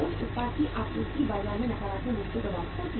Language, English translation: Hindi, Supply of that product will be affected negatively in the market